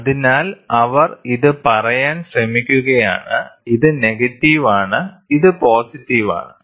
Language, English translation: Malayalam, So, what they are trying to say this is; this is negative, this is positive